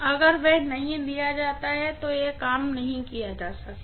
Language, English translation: Hindi, If that is not given then it cannot be worked out